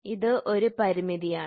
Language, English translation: Malayalam, So, this is a constraint